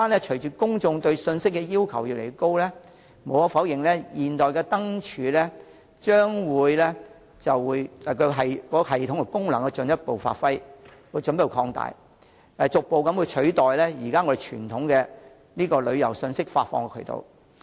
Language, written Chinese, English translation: Cantonese, 隨着公眾對信息要求越來越高，無可否認，現代化的智慧燈柱憑功能的進一步提升，將逐步取代傳統的旅遊信息發放渠道。, As members of the public have increasingly stringent requirements on information modern smart lampposts with its functions further upgraded will undoubtedly gradually replace traditional channels for dissemination of tourist information